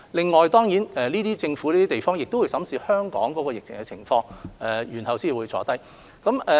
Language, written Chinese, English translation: Cantonese, 此外，當然這些其他地方的政府也會審視香港疫情的情況，然後才會坐下商討。, Furthermore of course the governments of these places will also examine Hong Kongs situation before deciding if they would sit down and talk with us